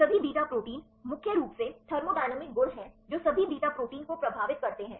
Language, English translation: Hindi, The all beta proteins mainly thermodynamic properties they influence the all beta proteins